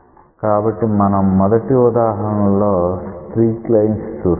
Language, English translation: Telugu, So, we will see the next example that is called as a streak line